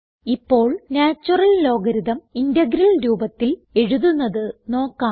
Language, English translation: Malayalam, Let us now write the integral representation of the natural logarithm